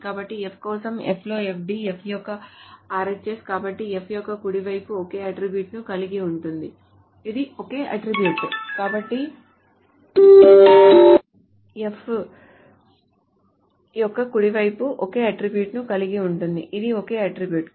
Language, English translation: Telugu, So for F which is a FD in F, the RHS of F, so the right hand side of F consists of a attribute, is a single attribute